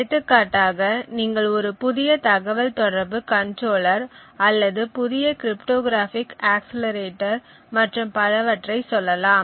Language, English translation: Tamil, So, for example you could say you could think of a new communication controller or let us say a new cryptographic accelerator or so on